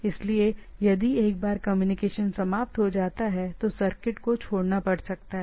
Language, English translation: Hindi, So, if there is a if the once the communication is over, circuit may have to drop